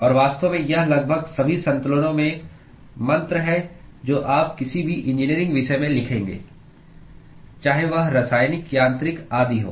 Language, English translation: Hindi, And in fact this is the mantra in almost all the balances that you would write in any engineering discipline, irrespective of whether it is chemical, mechanical etc